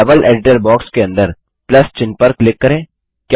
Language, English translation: Hindi, Now under the Level Editor box, click on the Plus sign